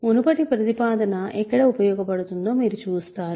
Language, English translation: Telugu, You see where the previous proposition, now will come in handy